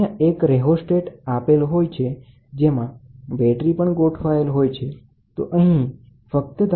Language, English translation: Gujarati, Other a rheostat is there you adjust it a battery and then this is used for this